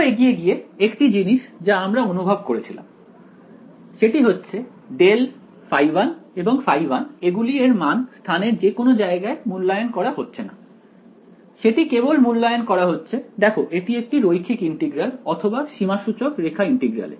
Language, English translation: Bengali, Moving further one thing we realized was that grad phi 1 and phi 1 these are not being evaluated anywhere in space there only being evaluated on the look this is the line integral or a contour integral